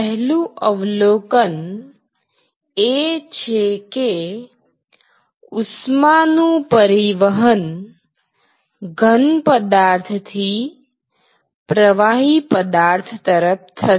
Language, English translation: Gujarati, So, the first observation is that, heat transferred from solid to liquid